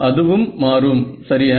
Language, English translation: Tamil, It will change right